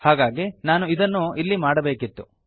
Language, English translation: Kannada, So I should have done this here